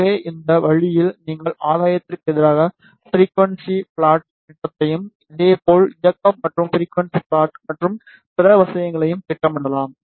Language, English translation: Tamil, So, in this way you can plot the gain versus frequency plot, similarly directivity versus frequency plot and other things